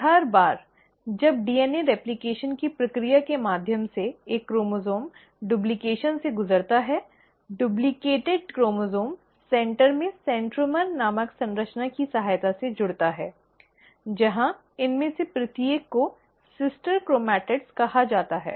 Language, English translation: Hindi, And every time a chromosome undergoes duplication through the process of DNA replication, the duplicated chromosome is attached at the center with the help of a structure called as ‘centromere’, where each of these then called as ‘sister chromatids’